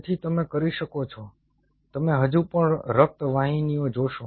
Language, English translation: Gujarati, you will still see the blood vessels